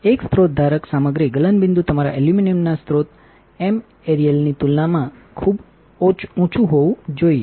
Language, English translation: Gujarati, There is a source holder material melting point should be extremely high compared to source material that is your aluminum